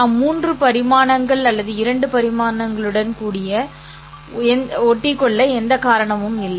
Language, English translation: Tamil, There is no reason why we have to stick to three dimensions or two dimensions